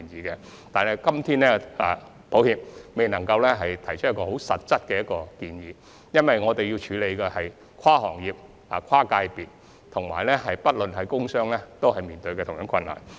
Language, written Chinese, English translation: Cantonese, 然而，很抱歉，我們今天尚未能提出實質的建議，因為我們目前要處理的是跨行業、跨界別的問題，而工商界均面對相同的困難。, However we do apologize for not being able to put forward a concrete proposal today given that we are currently dealing with a cross - sector cross - industry issue and that both the industrial and commercial sectors are facing the same difficulties